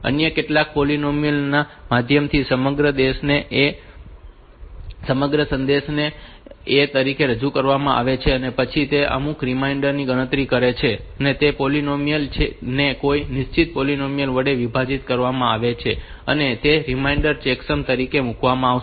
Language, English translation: Gujarati, So, the entire message is represented as a and then it is computing some reminder that polynomial is divided by a fixed polynomial and it will be the reminder is put as the checksum